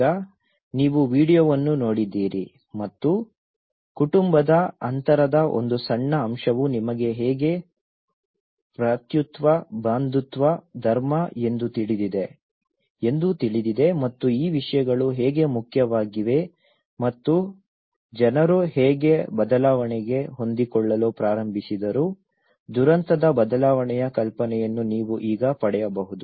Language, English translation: Kannada, So now, you have seen the video and you now can get an idea of how even a small aspect of family distance you know brotherhood, kinship, religion how these things matter and how people started adapting to the change, a cataclysmic change